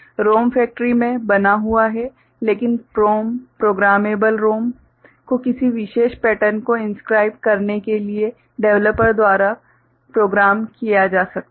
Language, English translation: Hindi, ROM is factory made, but PROM programmable ROM can be programmed by a developer to inscribe a particular pattern